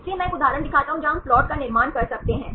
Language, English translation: Hindi, So, I show one example where we can construct the plot